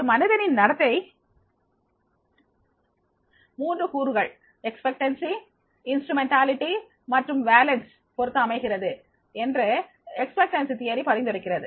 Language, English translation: Tamil, Expectation theory suggests that a person's behavior is based on the three factors, expectancy, instrumentality and valence, right